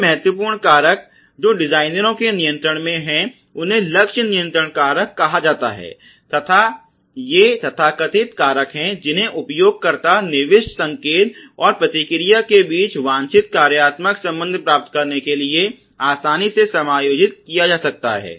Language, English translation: Hindi, The other important factor which is in the control of the designers are called the target control factors and these are so called factors which can be easily adjusted to achieve the desired functional relationship between the user inputs signal and the response